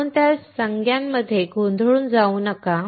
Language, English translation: Marathi, So, do not get confused with those terminologies